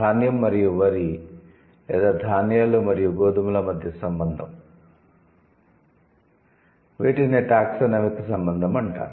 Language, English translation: Telugu, So there are different, so the relation between grain and paddy or grains and wheat, these are the taxonomic relation